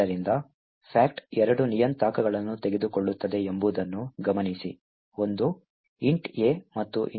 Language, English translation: Kannada, So, note that fact takes two parameters, one is int A and another one is a pointer and the other one is an int star B